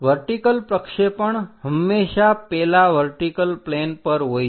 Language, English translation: Gujarati, The vertical projection always be on that vertical plane